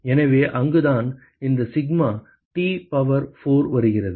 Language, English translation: Tamil, So, that is where this sigma T power 4 comes in